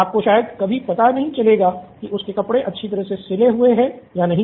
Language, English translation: Hindi, You probably never find out if his clothes have stitched well or not